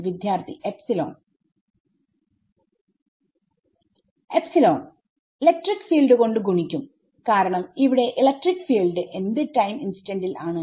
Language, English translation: Malayalam, Epsilon infinity multiplied by electric field because electric field is here at what time instant